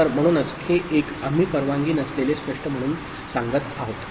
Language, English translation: Marathi, So, that is why this 1 1, we are saying as not allowed, clear